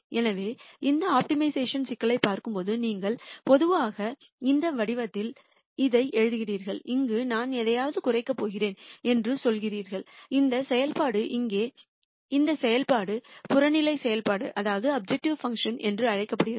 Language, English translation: Tamil, So, when you look at this optimization problem you typically write it in this form where you say I am going to minimize something, this function here, and this function is called the objective function